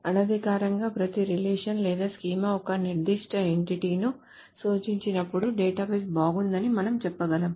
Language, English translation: Telugu, So informally we can say the database is good when each relation or schema represents a particular entity